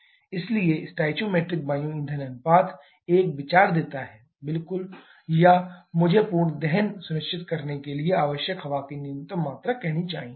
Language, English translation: Hindi, So, stoichiometric air fuel ratio gives an idea exactly or I should say the minimum quantity of air required to ensure complete combustion